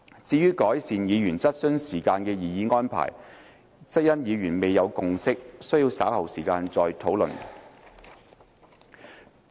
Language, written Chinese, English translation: Cantonese, 至於改善議員質詢時間的擬議安排，則因議員未有共識，需於稍後再作討論。, Meanwhile Members could not reach a consensus on the proposed arrangement to improve the question time of Members . The Committee would need to discuss the arrangement again in due course